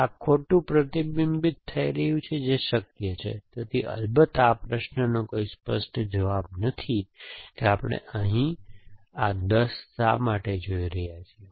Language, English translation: Gujarati, Wrong is being reflected here which possible, so diagnosis of course there is no clear cut answer to this question, has to why are we seeing this 10 here